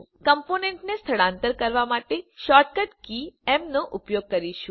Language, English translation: Gujarati, We will use the shortcut key m for moving the components